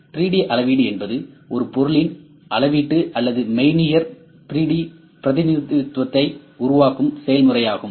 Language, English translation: Tamil, 3D measurement is a process of creating measurement or virtual 3D representation of a physical object